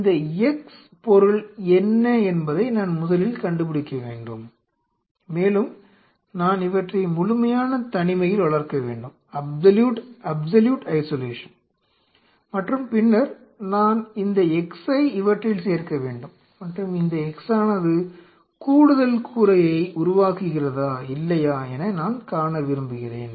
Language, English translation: Tamil, I have to fist a of all figure out what is this x compound, and I grove these in absolute isolation and then in this I introduce that x, and I wanted to see does the x develop that additional roof or not